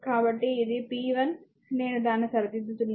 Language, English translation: Telugu, So, this is p 1 I have corrected that